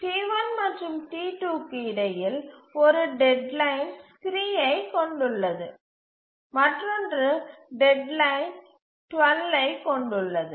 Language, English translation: Tamil, So, between T1 and T2, which has the earliest deadline, one has deadline three and the other has deadline 12